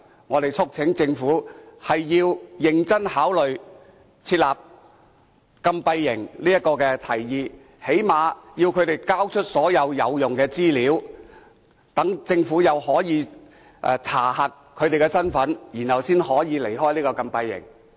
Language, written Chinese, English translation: Cantonese, 我們促請政府認真考慮設立禁閉營這項提議，至少要他們交出所有有用的資料，讓政府可以先查核他們的身份，才讓他們離開禁閉營。, We urge the Government to seriously consider the proposal of setting up detention camps . They should at least submit all the useful information to the Government for verifying their identity before they can leave the detention camps